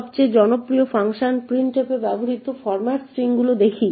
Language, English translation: Bengali, Let us look at format strings used in the most popular function printf